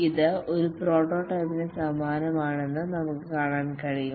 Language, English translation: Malayalam, You can see that it is similar to a prototype